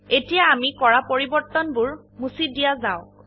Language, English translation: Assamese, Now, let us delete the changes made